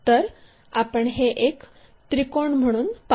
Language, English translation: Marathi, So, we will see it like a triangle